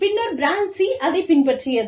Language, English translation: Tamil, And then, brand C followed suit